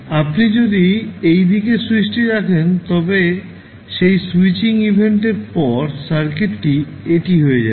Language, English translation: Bengali, So, if you put this switch to this side then after that switching event the circuit will become this